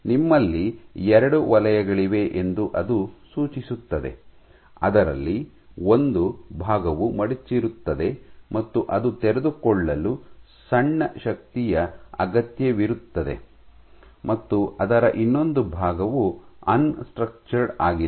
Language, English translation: Kannada, So, it suggests that you have 2 zones of a maybe one part of which does fold and that requires a smaller force to unfold, and another part of it which is unstructured